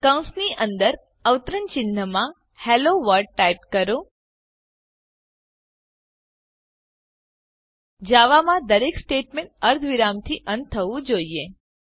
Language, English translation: Gujarati, In brackets in quotes type, HelloWorld In java, Every statement has to end with a semicolon